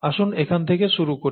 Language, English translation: Bengali, So this, let us start here